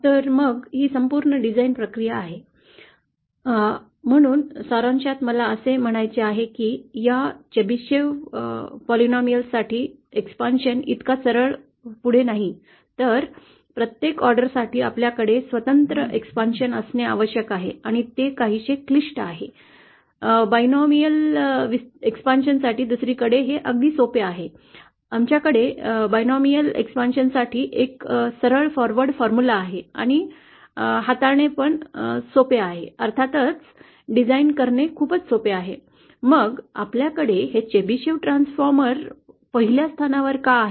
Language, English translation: Marathi, So then this is the complete design procedure, ah so in summary I want to say that for this Chebyshev polynomial the expansion is not so straight forward, then for each order we have to have an individual expansion and it is somewhat complicated, the binomial expansion on the other hand is much simpler, it is we have a straight forward formula for the binomial expansion and it is much easier to handle and to design of course, the question then is why do we have this Chebyshev transformer in the first place